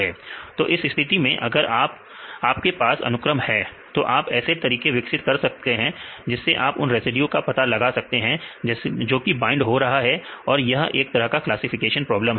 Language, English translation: Hindi, So, in this case if you have a sequence you can develop methods to identify the residues which are binding this is a classification problem